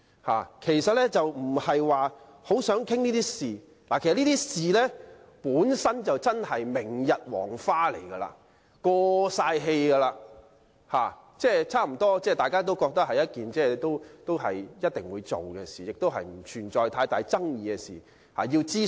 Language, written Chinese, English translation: Cantonese, 他們並不是真正想討論這些事情，因為這些事情已是明日黃花，已經"過氣"，而且大家都知道是一定會進行的，而且並不存在太大爭議，亦已進行諮詢。, It is not their real intention to discuss those issues as they are already a thing of the past or obsolete . What is more everyone knows that the project will be launched in any event and is not controversial not to mention that a consultation exercise had been carried out